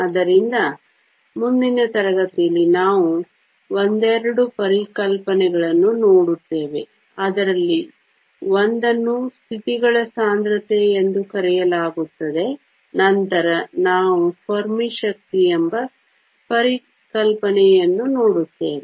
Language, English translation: Kannada, So, in the next class, we will look at the couple of concepts one of which is called density of states then we will also look at the concept called Fermi energy